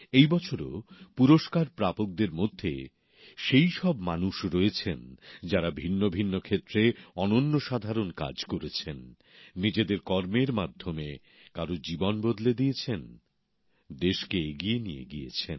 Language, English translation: Bengali, This year too, the recipients comprise people who have done excellent work in myriad fields; through their endeavour, they've changed someone's life, taking the country forward